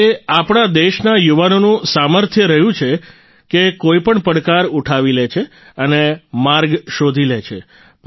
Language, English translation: Gujarati, And it is the power of the youth of our country that they take up any big challenge and look for avenues